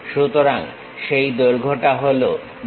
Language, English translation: Bengali, So, that length is D